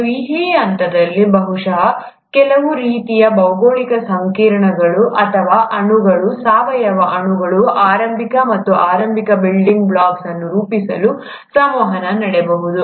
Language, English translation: Kannada, And, it is during this phase that probably some sort of geological complexes or molecules would have interacted to form the initial and the early very building blocks of organic molecules